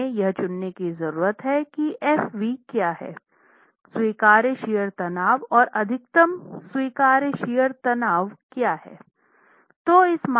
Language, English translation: Hindi, We need to choose what the svee, what the allowable shear stress and the maximum allowable shear stress are